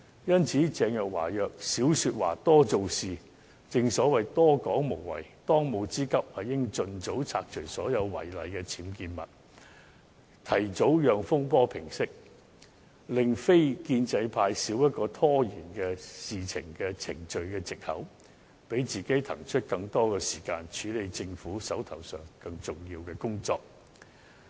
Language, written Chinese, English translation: Cantonese, 因此，鄭若驊宜少說話，多做事，正所謂多說無謂，當務之急，應盡早拆除所有違例的僭建物，提早讓風波平息，令非建制派少一個拖延議事程序的藉口，讓自己騰出更多時間，處理手上更重要的工作。, At this juncture Teresa CHENG should talk less and do more . Making verbose remarks serves no purpose . At present her most pressing task is to remove all UBWs to settle this row so that non - establishment Members will have one less excuse to stall the Council procedure and she can have more time to handle the more important work at hand